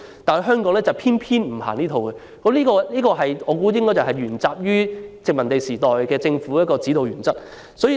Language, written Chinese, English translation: Cantonese, 但是，香港偏偏不實行這一套，我估計這是因為沿襲了殖民地時代的政府指導原則。, Yet this is not the case in Hong Kong and I reckon that this could be attributed to the fact that we have followed the guiding principle of the colonial government